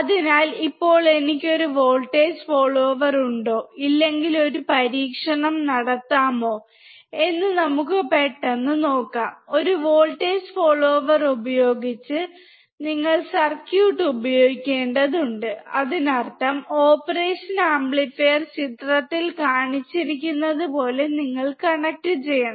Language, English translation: Malayalam, So now, let us quickly see if I have a voltage follower, and if I don’t, to do an experiment using a voltage follower, you have to just use the circuit; that means, you have to connect the operation amplifier as shown in the figure